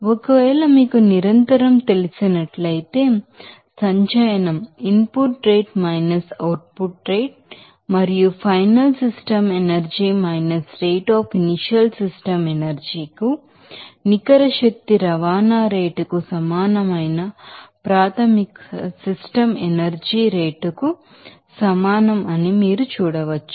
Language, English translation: Telugu, And if it is you know continuous then you can see that accumulation will be equal to input rate output rate and the rate of final system energy – rate of initial system energy that is equal to rate of net energy transport to the system that is in out